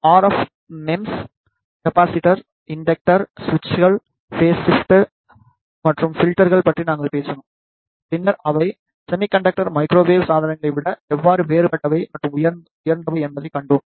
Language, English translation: Tamil, Then we talked about various types of RF MEMS components we talked about RF MEMS capacitor, inductor, switches, phase shifters and filters and then we saw how they are different, and superior over the semiconductor microwave devices